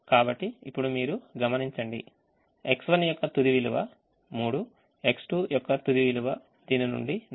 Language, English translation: Telugu, so now you observe that final value of x one is three, the final value of x two is four